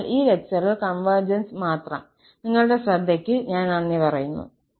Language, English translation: Malayalam, So, that is all on convergence in this lecture and I thank you for your attention